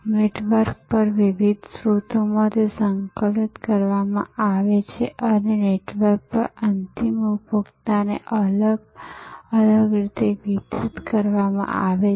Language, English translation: Gujarati, Compiled from different sources over a network and delivered in different ways to the end consumer over networks